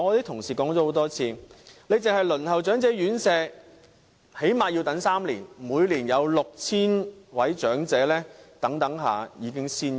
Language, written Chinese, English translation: Cantonese, 同事經常說，只是輪候長者院舍已最少等候3年，每年有 6,000 名長者在等候期間已經仙遊。, I do not foresee any effect under such an arrangement . Members frequently mention about the three years minimum waiting time for a place in residential care homes for the elderly in which 6 000 elderly persons die each year while waiting for such a place